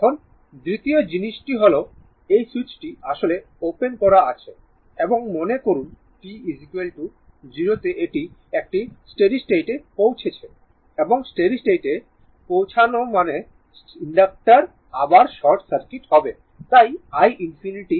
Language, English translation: Bengali, So, this switch is opened now and at t is equal to 0 and suppose a steady state is reached; that means, switch is open and steady state is reached means inductor again will be short circuit therefore, my i infinity will be is equal to 20 volt and this is open now